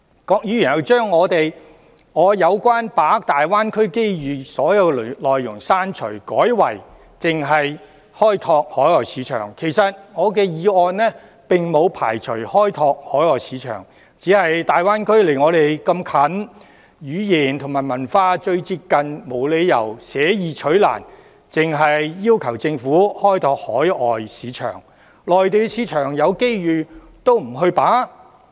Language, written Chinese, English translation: Cantonese, 郭議員又把我有關把握大灣區機遇的所有內容刪除，改為開拓海外市場，其實我的議案並沒有排除開拓海外市場，只是大灣區鄰近本港，語言和文化最為接近，我們沒理由捨易取難，只要求政府開拓海外市場，而不把握內地市場。, In addition Dr KWOK has deleted all the content relating to the seizure of the opportunities presented by the Greater Bay Area in my motion and replaced it with exploring overseas markets . In fact my motion has not excluded the exploration of overseas markets . However given that the Greater Bay Area is close to Hong Kong and we share highly similar languages and cultures we have no reason to adopt a difficult approach rather than an easy one by requesting the Government to explore overseas markets instead of capitalizing on the Mainland market